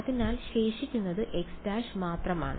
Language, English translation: Malayalam, So, the only thing remaining is x prime